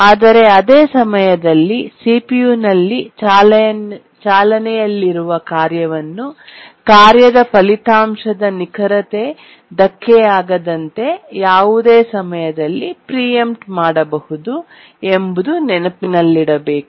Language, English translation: Kannada, but at the same time we must remember that the simplifying thing that is there is that a task which is running on the CPU can be preempted at any time without affecting the correctness of the result of the task